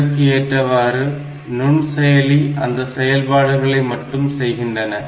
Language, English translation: Tamil, So, accordingly that microprocessor will be able to do those operations only